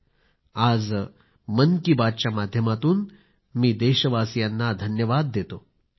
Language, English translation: Marathi, Today, through the Man Ki Baat program, I would like to appreciate and thank my countrymen